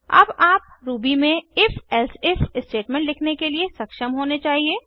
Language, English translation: Hindi, You should now be able to write your own if elsif statement in Ruby